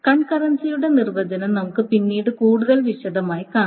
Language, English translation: Malayalam, definition of concurrency in much more detail later